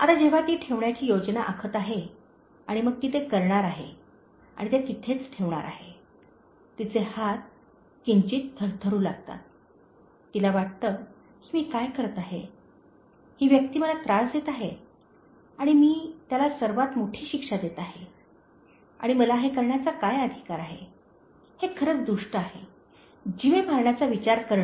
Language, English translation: Marathi, Now the time she is planning to keep and then she has taken it and she is about to put it there, her hands start slightly tremoring, she feels that what am I doing, this person is just annoying me and then am I going to just give him the biggest punishment and what right I have to do this, so this is real evil, thinking of killing him